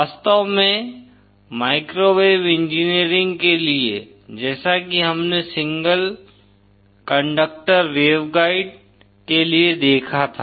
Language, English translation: Hindi, In fact for microwave engineering as we saw for single conductor waveguide